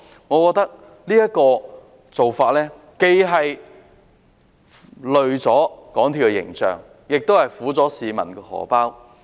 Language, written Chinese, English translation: Cantonese, 我認為這種做法既拖累了港鐵公司的形象，亦苦了市民的錢包。, I think this practice has taken toll on the image of MTRCL while hurting the wallet of the public